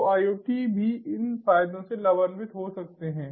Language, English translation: Hindi, so iot can also benefit from these advantages